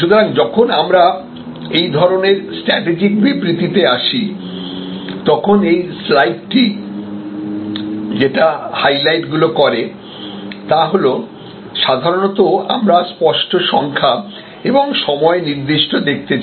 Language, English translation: Bengali, So, when we come to this kind of strategic statements, what did this slide highlights is that usually we would like to have clear crisp numbers and time dimensioned specified